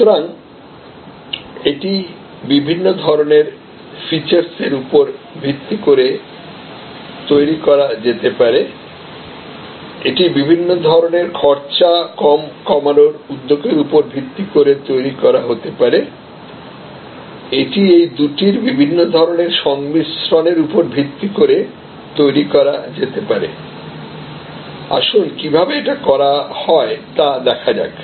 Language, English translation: Bengali, So, it could be based on different types of features, it could be based on different types of cost initiatives, it could be based on different types of combinations of these two, let us look at how these are done